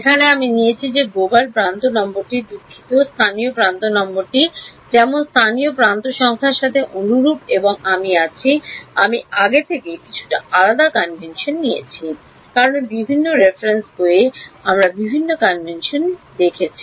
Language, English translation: Bengali, Here I have taken that the global edge number sorry the local edge number corresponds to the starting local edge number like and I am I have taken the slightly different convention from earlier, because various reference books I have different convention